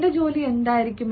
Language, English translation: Malayalam, what will be my job